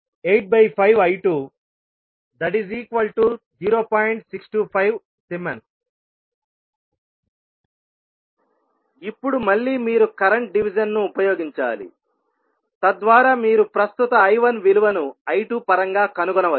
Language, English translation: Telugu, Now, next again you have to use the current division, so that you can find the value of current I 1 in terms of I 2